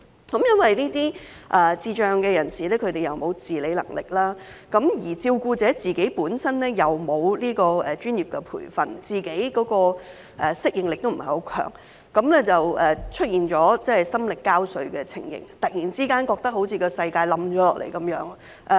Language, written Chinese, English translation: Cantonese, 基於這些智障人士沒有自理能力，而照顧者本身又沒有接受專業培訓，而且適應力亦不強，因而感到心力交瘁，突然覺得世界好像塌下來一樣。, Since the carers who have not received professional training and are not highly adaptive have to take care of PIDs lacking in self - care abilities they would become both physically and mentally exhausted and suddenly felt like the world is collapsing